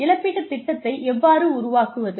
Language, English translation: Tamil, How do we develop a compensation plan